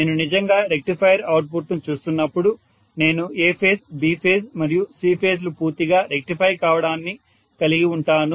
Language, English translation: Telugu, So when I am actually looking at a rectifier output I may have A phase, B phase and C phase rectified completely right